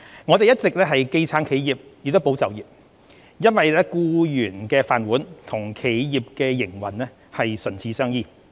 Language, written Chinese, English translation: Cantonese, 我們一直既撐企業，也保就業，因為僱員的"飯碗"與企業營運唇齒相依。, Considering that job security of employees and business operation are inter - dependent we have been steadfast in supporting both the enterprises and employment